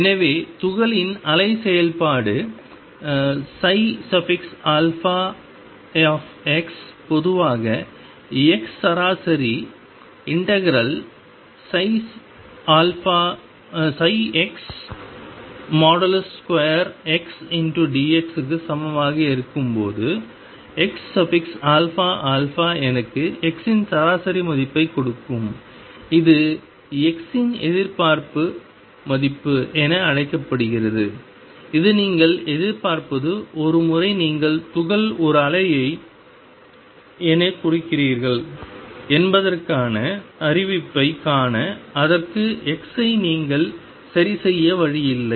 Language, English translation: Tamil, So, x alpha alpha gives me average value of x when the wave function of the particle is psi alpha x in general x average is going to be equal to mod psi square x d x and this is known as expectation value of x this is what you expect to see notice that once you represent the particle as a wave there is no way that you have a fix x for it